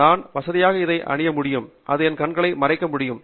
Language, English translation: Tamil, So, I can comfortably wear this and it would cover my eye